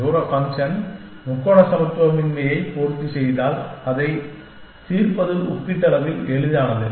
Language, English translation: Tamil, And if the distance function satisfies the triangular inequality then, also it is relatively easier to solve